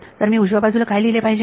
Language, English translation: Marathi, So, what should I write on the right hand side